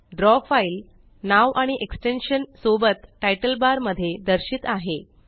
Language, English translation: Marathi, The Draw file with the file name and the extension is displayed in the Title bar